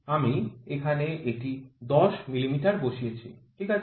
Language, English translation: Bengali, I have just put it here 10 meters, ok